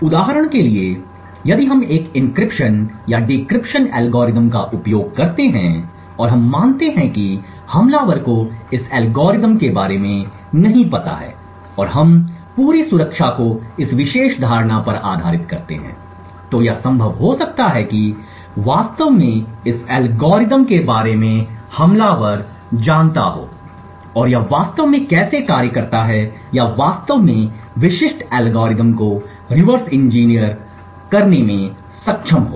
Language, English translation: Hindi, For example if we use an encryption or a decryption algorithm and we assume that the attacker does not know about this algorithm and we base our entire security on this particular assumption it may be possible that attackers actually learn about this algorithm and how it actually functions or is able to actually reverse engineer the specific algorithm